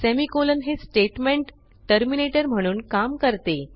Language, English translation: Marathi, Semicolon acts as a statement terminator